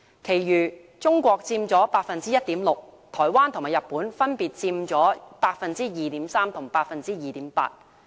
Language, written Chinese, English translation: Cantonese, 其餘中國佔 1.6%， 台灣和日本分別佔 2.3% 和 2.8%。, As for other regions private RD spending in China contributed 1.6 % to its GDP and 2.3 % and 2.8 % to the GDP of Taiwan and Japan respectively